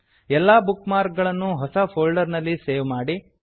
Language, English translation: Kannada, * Save all the bookmarks in a new folder